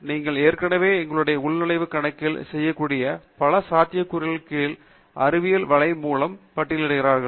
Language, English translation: Tamil, You are already listed by Web of Science here under several possibilities that we can do with our login account